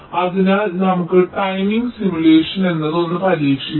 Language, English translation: Malayalam, so let us try out something called timing simulation